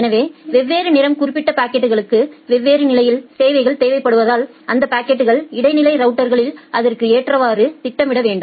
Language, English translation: Tamil, So, because different marked packets require different level of quality of service, you need to schedule those packets accordingly at the intermediate routers